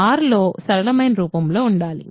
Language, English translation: Telugu, To be in R, in the simplest form